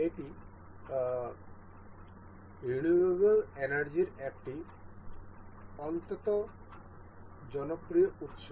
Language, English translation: Bengali, This is a very popular source of renewable energy